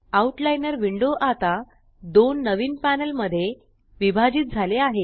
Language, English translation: Marathi, The Outliner window is now divided into two new panels